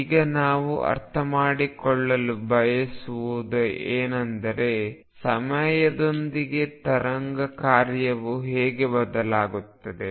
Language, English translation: Kannada, Now what we want to understand is how wave function changes with time